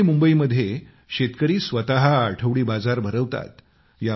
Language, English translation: Marathi, Farmers in Pune and Mumbai are themselves running weekly markets